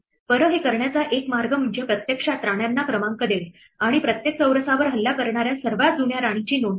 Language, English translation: Marathi, Well, one way to do this is to actually, number the queens and record the earliest queen that attacks each square